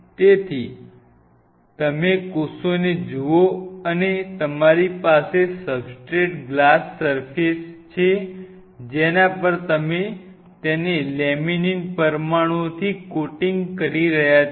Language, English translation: Gujarati, So, laminin has its, if you look at the cell this is the cell and you have a substrate glass surface on which you are coating it with laminin molecules